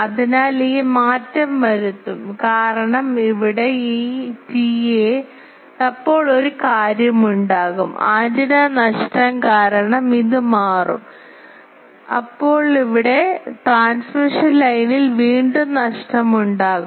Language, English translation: Malayalam, So, that will make this change because this T A here then there will be one thing is due to antenna loss this will change, now here there will be loss again in the transmission line